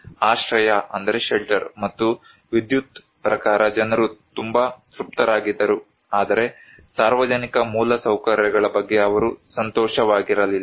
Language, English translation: Kannada, People were very satisfied as per the shelter and electricity, but they were not happy with the public infrastructure